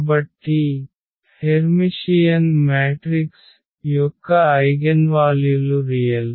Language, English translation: Telugu, So, the eigenvalues of Hermitian matrix are real